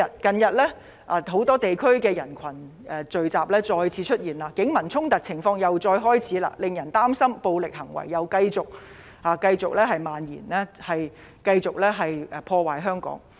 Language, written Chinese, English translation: Cantonese, 近日很多地區再次出現人群聚集活動，警民衝突情況亦再次出現，令人擔心暴力行為繼續蔓延，繼續破壞香港。, Recently gatherings of crowds have re - emerged in many areas and conflicts between the Police and the public have also recurred . We are worried that violence will continue to spread and destroy Hong Kong